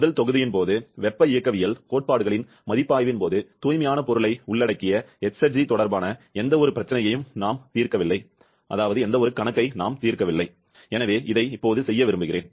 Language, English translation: Tamil, As during the first module, during the review of thermodynamic principles, we have not solved any problem related to exergy which involves a pure substance, so I would like to do this one